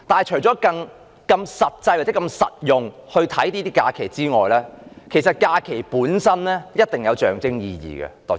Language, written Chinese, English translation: Cantonese, 除了以實際作用的角度看假期，其實假期本身亦有一定的象徵意義。, A holiday does not only have its practical use but also have a certain degree of symbolic meaning